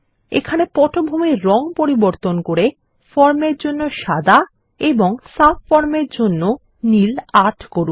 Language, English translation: Bengali, And change the background color to white for the form and Blue 8 for the subform